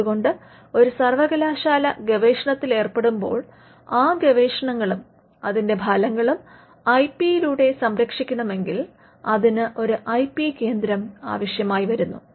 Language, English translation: Malayalam, So, if the university engages in research and the research and the products of the research can be protected by IP, then the university requires an IP centre